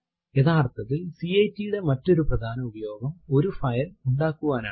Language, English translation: Malayalam, Infact the other main use of cat is to create a file